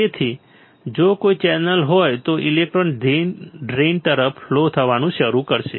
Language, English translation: Gujarati, So, if there is a channel, electrons will start flowing towards the drain